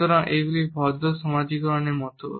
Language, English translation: Bengali, So, these are like polite socialize